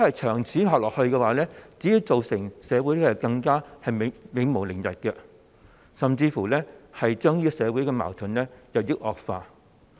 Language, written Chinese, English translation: Cantonese, 長此下去，只會造成社會更加永無寧日，甚至會令社會矛盾日益惡化。, This never - ending confrontation will only bring about perpetual unrest to our society and even lead to the deterioration of social conflicts in the long run